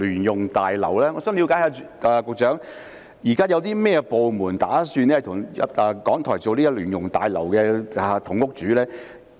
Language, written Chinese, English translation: Cantonese, 局長，我想了解一下，現時有甚麼部門打算與港台共同使用聯用大樓呢？, Secretary may I know which departments are planning to jointly use a joint - user building with RTHK?